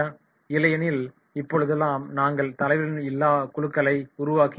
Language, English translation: Tamil, Otherwise also nowadays we are developing leaderless groups